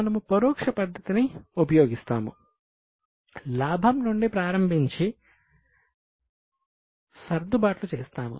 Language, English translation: Telugu, We use indirect method starting from profit we do adjustments